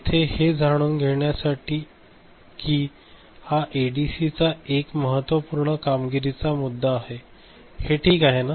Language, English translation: Marathi, Just here to know that this is an important performance issue of an ADC right, is it fine